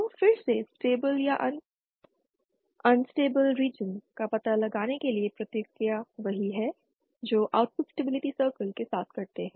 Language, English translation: Hindi, So again the process procedure to find out the stable or unstable region is the same as that the case we dealt with the output stability circle